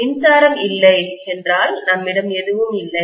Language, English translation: Tamil, Without electricity, we will all be completely without anything